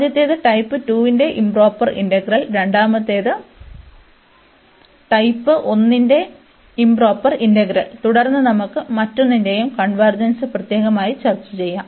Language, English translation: Malayalam, The first one is the improper integral of type 2, the second one is then improper integral of type 1, and then we can discuss separately the convergence of each